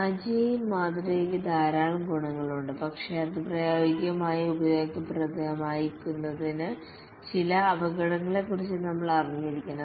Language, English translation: Malayalam, The Agile model has many advantages but then to make it practically useful you must be aware of some pitfalls